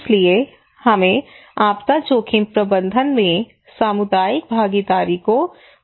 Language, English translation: Hindi, So, therefore, we should promote community participation in disaster risk management